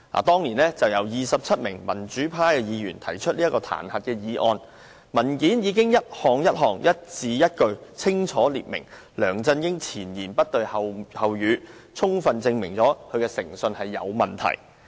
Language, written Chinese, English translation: Cantonese, 當年由27位民主派議員提出的彈劾議案，文件已經一項一項、一字一句清楚列明梁振英前言不對後語，充分證明他的誠信有問題。, Back then various self - contradictory statements made by LEUNG Chun - ying had been set out in detail item - by - item in the impeachment motion initiated by 27 pro - democracy Members proving sufficiently that his integrity was questionable